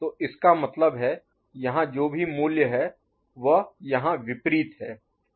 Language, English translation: Hindi, So that means, whatever is the value here it is opposite here, ok